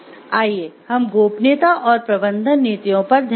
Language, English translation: Hindi, Let us look into it, confidentiality and management policies